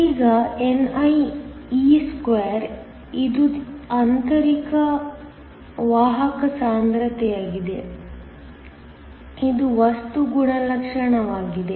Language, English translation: Kannada, Now, nie2 which is the intrinsic carrier concentration, is a material property